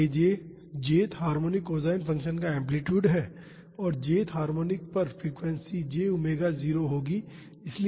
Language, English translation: Hindi, So, this aj is the amplitude of the j th harmonic the cosine function and the frequency at the j th harmonic will be j omega naught